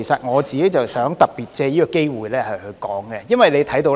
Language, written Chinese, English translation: Cantonese, 我想特別藉此機會談談這方面。, I would like to take this opportunity to talk about this issue in particular